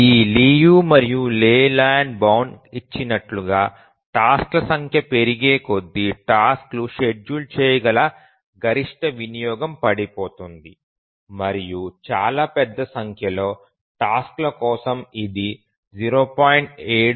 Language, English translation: Telugu, As given by this Liu and Leyland bound, the maximum utilization at which the tasks become schedulable falls as the number of tasks increases and for very large number of tasks it settles at around 0